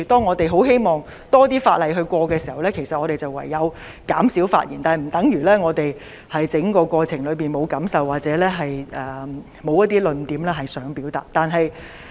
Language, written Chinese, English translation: Cantonese, 我們希望能夠通過更多法案，唯有減少發言，但這並不等於我們在立法過程中沒有感受或沒有論點想表達。, We hope that more bills can be passed so we will have to speak less to speed up the process . However this does not mean that we have nothing to say about our feelings or arguments during the legislative process